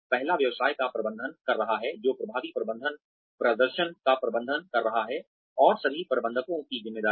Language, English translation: Hindi, The first is managing the business, which is effective management is managing performance, and is the responsibility of all managers